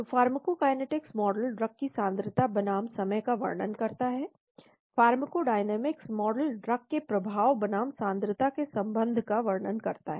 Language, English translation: Hindi, So pharmacokinetics model describing drug concentration versus time, pharmacodynamics model describing the relationship of effect versus concentration of the drug